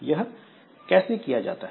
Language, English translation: Hindi, So how that is done